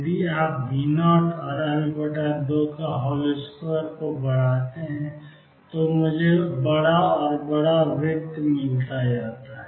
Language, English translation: Hindi, If you increase V naught and L naught by 2 square I get bigger and bigger circle